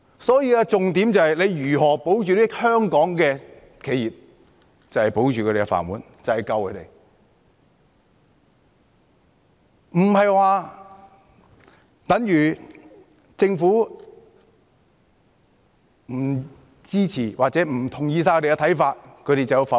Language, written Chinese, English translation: Cantonese, 所以，重點是如何保住香港的企業，保住他們的"飯碗"，這便等於拯救他們，不應說政府不支持或不同意他們的看法，他們便否決。, Hence the key is how to support enterprises . If their rice bowls are safeguarded it means they will be saved . Members should not veto the Budget merely because the Government does not support or disagrees with their views